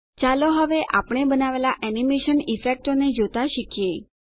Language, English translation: Gujarati, Let us now learn to view the animation effects we have made